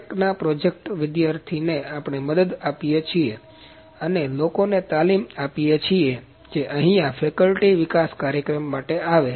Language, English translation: Gujarati, Tech project students also we support and we give classes people are training to the people who come here for the faculty development programs